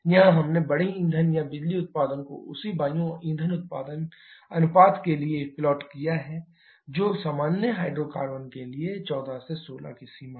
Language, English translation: Hindi, Here we have plotted the big power or the power output corresponding the air fuel ratio which is in the range of 14 to 16 for common hydrocarbons